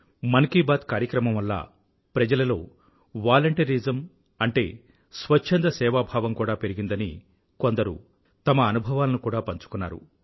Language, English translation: Telugu, People have shared their experiences, conveying the rise of selfless volunteerism as a consequence of 'Mann Ki Baat'